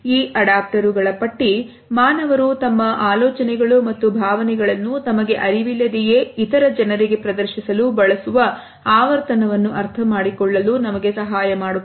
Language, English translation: Kannada, This list of adaptors, help us to understand the frequency with which human beings can use them to unconsciously display their ideas and emotions to other people